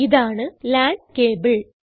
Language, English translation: Malayalam, This is a LAN cable